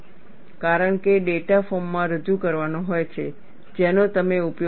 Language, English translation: Gujarati, Because data has to be presented in a form, that you can use it